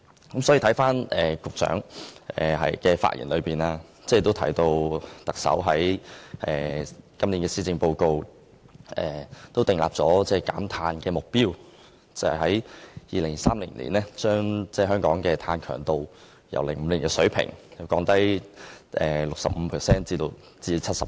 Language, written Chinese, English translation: Cantonese, 局長的發言提到，特首在2017年1月施政報告訂立了減碳目標，計劃在2030年把香港的碳強度由2005年的水平減低 65% 至 70%。, The Secretary stated in his speech that in the January 2017 Policy Address the Chief Executive set for Hong Kong the carbon reduction target of reducing carbon intensity by 65 % to 70 % by 2030 compared with the 2005 level